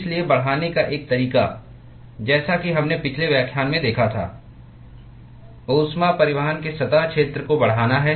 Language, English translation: Hindi, So, one way to increase, as we observed in the last lecture is to increase the surface area of heat transport